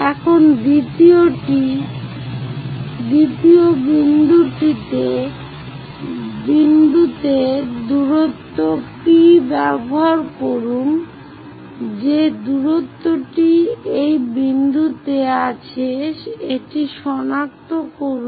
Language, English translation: Bengali, Now, use distance P all the way to second point whatever the distance locate it on that point